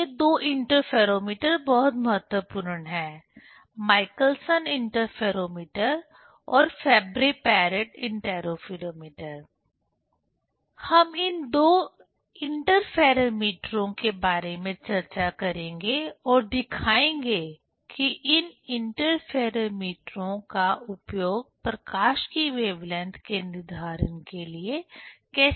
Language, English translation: Hindi, Then these two interferometers are very important; the Michelson interferometer and the Fabry Perot interferometer; we will demonstrate, will discuss about these two interferometers and how these interferometers are used for the determination of wavelength of light